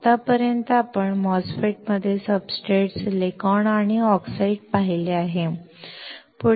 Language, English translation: Marathi, Until now we have seen substrate, silicon and oxide in a MOSFET